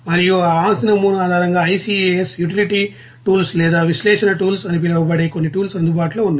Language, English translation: Telugu, And based on that property model there are some tools are available like it is called ICAS utility tools or analysis tools